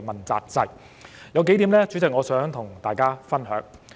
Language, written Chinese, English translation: Cantonese, 主席，有數點我想跟大家分享。, President I wish to share a few points with Members